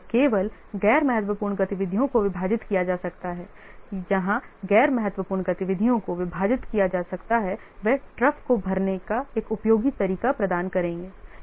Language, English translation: Hindi, So only the non critical activities can be split where the non critical activities can be split, they will provide useful way of filling the troughs